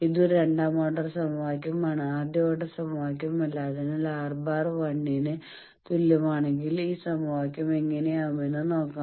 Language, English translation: Malayalam, Now we know this is a second order equation not a first order equation So, let us see what is this equation if we that R bar is equal to 1